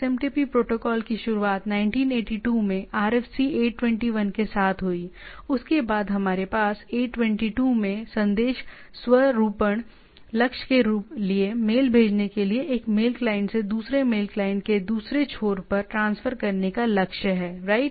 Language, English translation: Hindi, So, it was protocol was originated long back with RFC 821 in 1982, then we have 822 for message formatting goal to transfer mail reliably from one thing, one say one mail mail client to another mail client at the other end, right